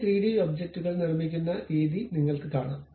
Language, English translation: Malayalam, You see this is the way we construct this 3D object